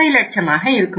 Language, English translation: Tamil, 50 lakhs, 10